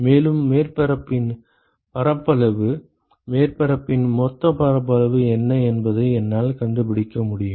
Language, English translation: Tamil, And I can find out what the area of the surface is total area of the surface